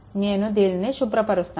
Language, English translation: Telugu, Now, I am clearing it right